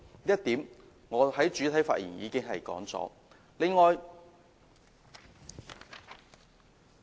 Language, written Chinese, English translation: Cantonese, 這點我在主體發言時已經提及。, I have mentioned these points in my main speech